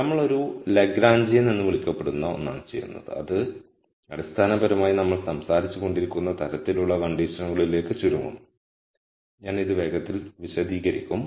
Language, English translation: Malayalam, So, we de ne something called a Lagrangian, which basically will boil down to the kind of conditions that we have been talking about I will explain this quickly